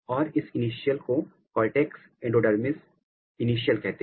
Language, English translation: Hindi, And, this initial is called cortex endodermis initial